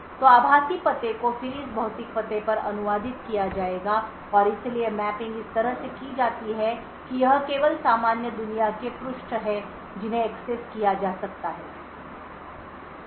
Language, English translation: Hindi, So, the virtual address would then get translated to the corresponding physical address and therefore the mapping is done in such a way that it is only the normal world pages which can be accessed